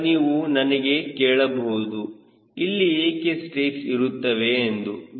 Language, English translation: Kannada, now you will ask me why there is a strake